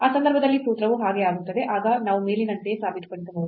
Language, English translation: Kannada, In that case the formula will become that so, we can prove similarly as above